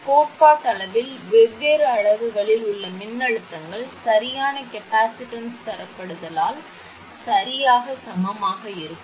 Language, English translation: Tamil, Theoretically, the voltages across the different units can be made exactly equal by correct capacitance grading